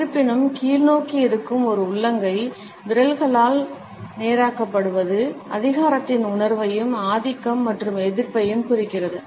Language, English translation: Tamil, A palm which is downward, however, with fingers which are straightened, indicates a sense of authority a dominance and defiance